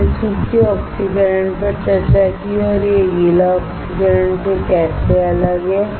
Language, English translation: Hindi, We discussed dry oxidation and how it is different from wet oxidation